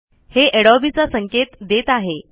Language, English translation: Marathi, So it is pointing to Adobe